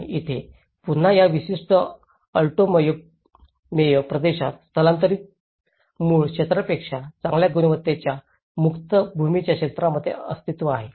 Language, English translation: Marathi, And here, again in this particular Alto Mayo region, there is an existence in the area of free land of a better quality than the land in the migrant’s native area